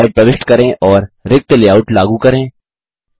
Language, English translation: Hindi, Insert a new slide and apply a blank layout